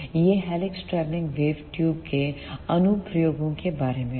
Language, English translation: Hindi, So, this is all about the applications of helix travelling wave tubes